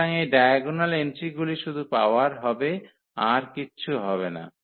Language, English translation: Bengali, So, these diagonal entries will be powered and nothing else